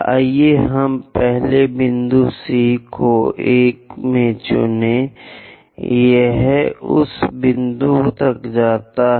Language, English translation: Hindi, Let us pick first point C to 1; it goes all the way up to that point